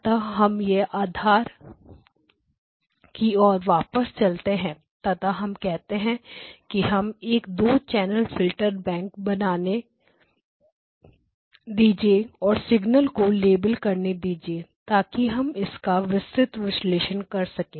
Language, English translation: Hindi, And we say okay let us just draw a two channel filter bank and label all of the signals, so, that we can then analyze it in detail